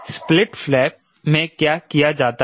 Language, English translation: Hindi, what is done in the split flap